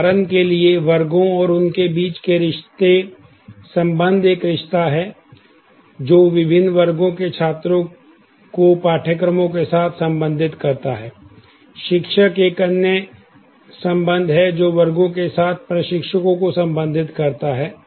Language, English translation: Hindi, The sections and the relationships between them for example, the relationship is takes is a relationship, which relates students with different sections, with courses, teachers is another relationship, which relates to instructors with sections